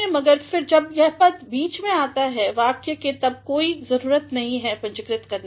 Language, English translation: Hindi, But, then when this designation appears in the midst of the sentence then there is no need to capitalize